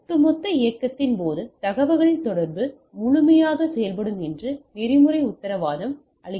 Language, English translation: Tamil, So, the protocol does not guarantee that the communication will effect full during the overall movement